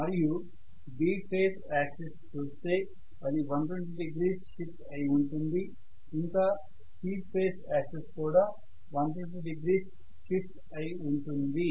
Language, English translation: Telugu, Similarly if I try to look at B phase axis it will be 120 degree shifted, C phase axis that will be 120 degree shifted